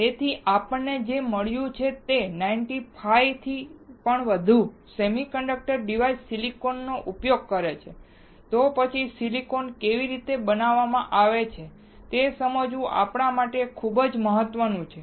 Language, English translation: Gujarati, So, what we found is that more than 95 percent of semiconductor devices uses silicon, then it is very important for us to understand how the silicon is manufactured